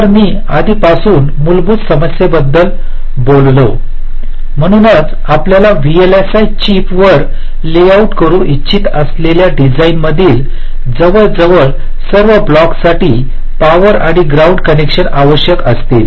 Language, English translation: Marathi, so almost all the blocks in a design that you want to layout on a vlsi chip will be requiring the power and ground connections